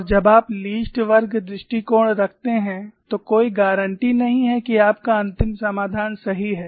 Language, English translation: Hindi, And when you are having a least squares approach there is no guarantee that your final solution is correct